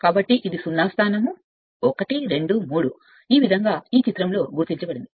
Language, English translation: Telugu, So, some it is a 0 position then 1, 2, 3 this way it has been marked in this figure